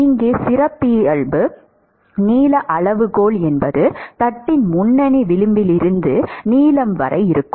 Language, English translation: Tamil, Here the characteristic length scale is the length up to which from the leading edge of the plate